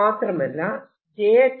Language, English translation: Malayalam, r is such that j